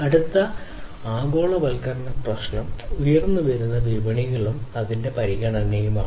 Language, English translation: Malayalam, The next one the next globalization issue is the emerging markets and its consideration